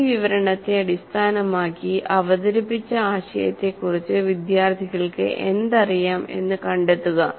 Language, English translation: Malayalam, Based on this description, find out what the students know about the idea presented